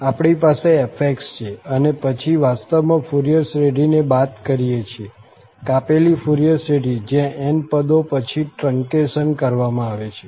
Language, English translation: Gujarati, We have the f x and then the minus is actually the Fourier series, the truncated Fourier series, where the truncation is done after this n term